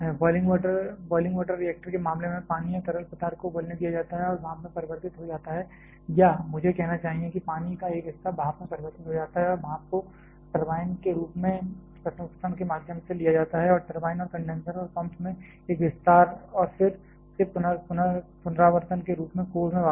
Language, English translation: Hindi, In case of a boiling water reactor the water or the fluid is allowed to boil and gets converted to steam or I should say a part of that water gets converted to steam and that steam is taken through the subsequent processing in the form of a turbine and a expansion in the turbine and condenser and pump and again back to the core in the form of recirculation